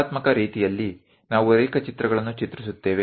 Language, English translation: Kannada, In artistic way, we draw sketches